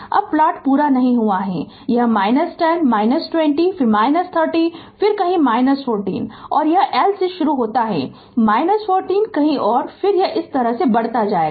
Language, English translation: Hindi, Now plot is not completed this is your minus 10, minus 20, then minus 30 then it will be somewhere minus 40 right and it will start from minus 40 somewhere and then it will it it will go like this right